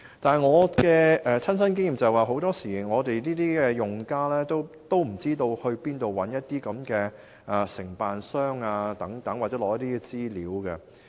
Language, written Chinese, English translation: Cantonese, 但是，據我的親身經驗，很多時候用家不知道到哪裏尋找承辦商，又或取得相關資料。, However my personal experience is that users usually do not know where to find a contractor or access the relevant information